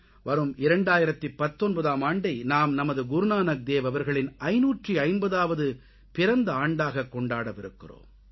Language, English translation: Tamil, Come 2019, we are going to celebrate the 550th PRAKASH VARSH of Guru Nanak Dev ji